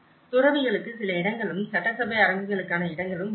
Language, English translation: Tamil, There is certain spaces for monks and the spaces for assembly halls